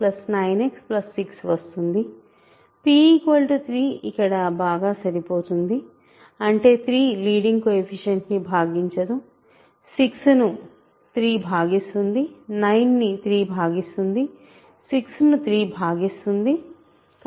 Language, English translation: Telugu, Now, p equal to 3 works, right so that means, 3 does not divide the leading coefficient 3 divides 6, 3 divides 9, 3 divides 6, 9 does not divide 6